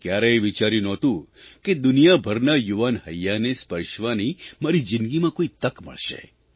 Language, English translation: Gujarati, I had never thought that there would be an opportunity in my life to touch the hearts of young people around the world